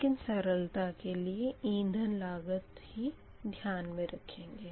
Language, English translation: Hindi, but for simplicity, only variable cost need to consider are fuel cost